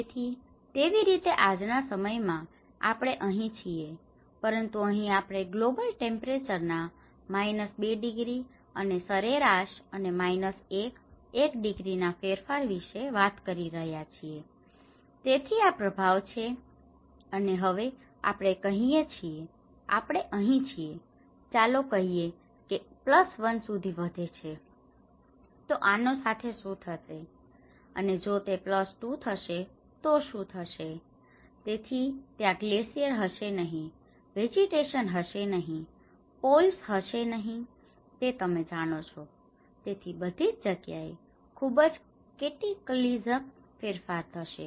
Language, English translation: Gujarati, So in that way today's generation we are right now here, but here we are talking about minus 2 degrees of a global temperature and an average and minus 1, 1 degree change, this is the impact and now we are here let us say if increases plus 1, what happens to this and if it is plus 2, what is the; so there will be no glaciers, no vegetation, no poles you know so everything will have a very cataclysmic change